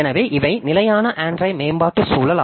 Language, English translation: Tamil, So, these are the standard Android development environment